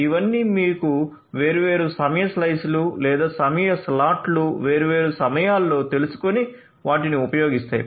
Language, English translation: Telugu, So, all of them will be using this you know the different time slices or time slots at different points of time and using them